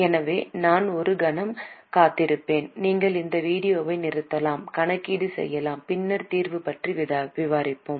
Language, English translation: Tamil, So, I will wait for a moment, you can stop this video, do the calculation and then we to discuss the solution